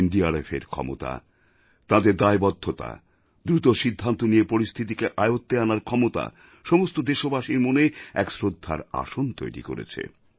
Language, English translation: Bengali, The capability, commitment & controlling situation through rapid decisions of the NDRF have made them a cynosure of every Indian's eye, worthy of respect & admiration